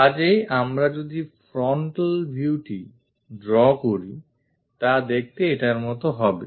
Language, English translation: Bengali, So, if we are drawing frontal view is supposed to look like this one